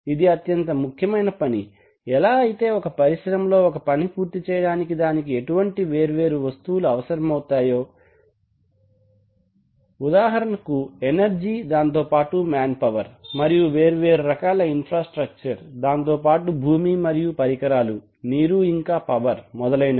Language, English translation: Telugu, This is the essential function of any factory how does it do that for doing that it requires it requires several things for example it requires energy, it requires manpower and it requires infrastructure of various kinds, it requires land, it requires equipment, it requires water, power etc